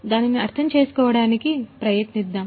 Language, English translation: Telugu, Let us try to understand that